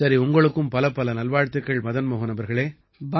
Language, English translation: Tamil, Fine, my best wishes to you Madan Mohan ji